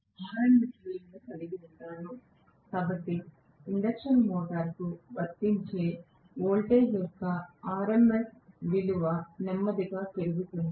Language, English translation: Telugu, So, I can just have the RMS value, so RMS value of the voltage applied to the induction motor is increased slowly